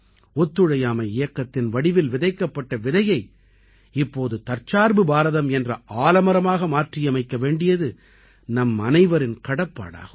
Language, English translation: Tamil, A seed that was sown in the form of the Noncooperation movement, it is now the responsibility of all of us to transform it into banyan tree of selfreliant India